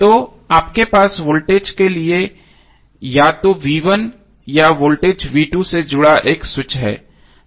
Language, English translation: Hindi, So you have switch connected either for voltage that is V1 or 2 voltage V2